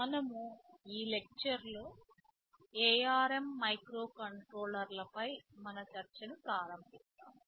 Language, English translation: Telugu, In this lecture we shall be starting our discussion on something about the ARM microcontrollers